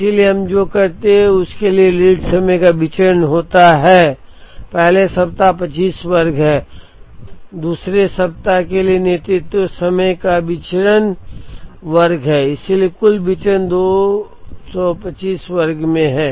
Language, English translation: Hindi, So, what we do is variance of the lead time for the first week is 25 square, variance of lead time for the 2nd week is 25 square so, total variance is 2 into 25 square